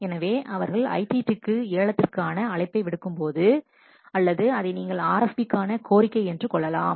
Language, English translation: Tamil, So, when we will issue ITT invitation to tender or the we call it as RFP request for proposal